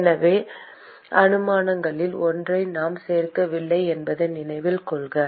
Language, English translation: Tamil, So, note that we did not include one of the assumptions